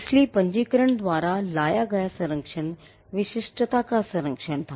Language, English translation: Hindi, So, the protection that registration brought was the preservation of the uniqueness